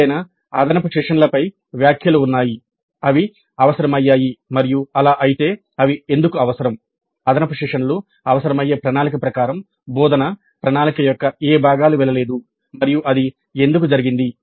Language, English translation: Telugu, Then comments on any additional sessions were they required and if so why they were required which parts of the instruction planning did not go as per the plan requiring additional sessions and why that happened